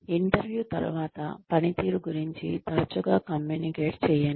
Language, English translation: Telugu, After the interview, communicate frequently about performance